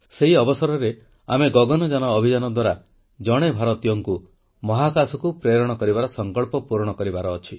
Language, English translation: Odia, And on that occasion, we have to fulfil the pledge to take an Indian into space through the Gaganyaan mission